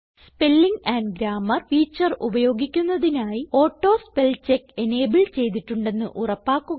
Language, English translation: Malayalam, To use the Spelling and Grammar feature, make sure that the AutoSpellCheck option is enabled